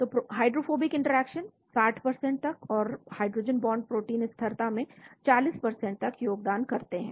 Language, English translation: Hindi, So hydrophobic interactions contribute to 60% and hydrogen bonds contribute to 40% to protein stability